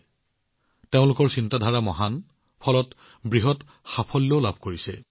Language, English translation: Assamese, They are thinking Big and Achieving Big